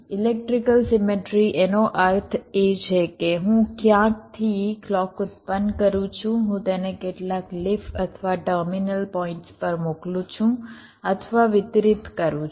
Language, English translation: Gujarati, what does electrical symmetry means electrical symmetry means that, well, i am generating the clock from somewhere, i am sending it or distributing it to several leaf or terminal points